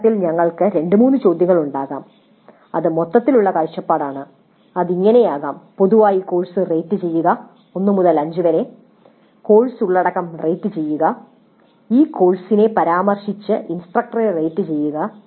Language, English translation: Malayalam, Then initially we can have two three questions which elicit the overall view and that can be like rate the course in general 1 to 5 rate the course content rate the instructor with reference to this course